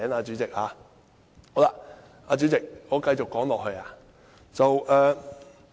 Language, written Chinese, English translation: Cantonese, 主席，我繼續說下去。, President I shall continue